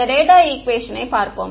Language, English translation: Tamil, Let us look at this data equation